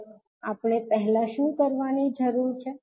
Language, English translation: Gujarati, Now, first what we need to do